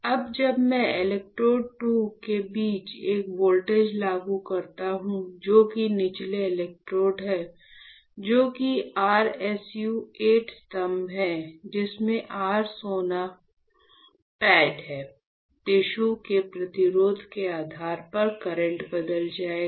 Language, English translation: Hindi, Now, when I apply a voltage between electrode 2, which is the bottom electrode and electrode 1, which is your SU 8 pillars with your gold p[ad; what will happen, depending on the resistance of the tissue, the current will change right